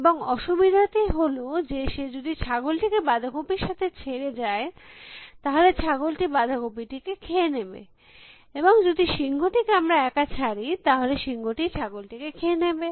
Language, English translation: Bengali, And the difficulty is that, if he leaves the goat alone with the cabbage, the goat will eat the cabbage, and if we leave the lion alone with the goat, lion will eat the goat